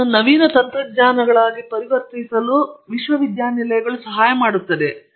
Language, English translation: Kannada, It helps convert research ideas into innovative technologies